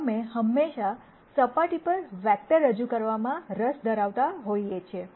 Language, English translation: Gujarati, We are always interested in projecting vectors onto surfaces